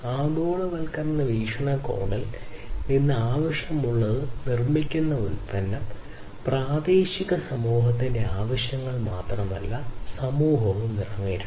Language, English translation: Malayalam, So, what is required is from the globalization point of view the product that is manufactured should not only cater to the needs of the local community, but also to the international community